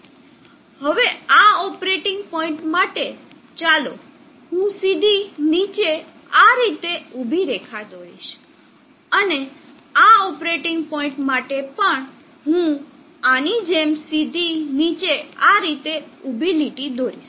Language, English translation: Gujarati, Now for this operating point let me draw vertical down straight down like this, and for this operating point also I will draw a vertical line straight down like this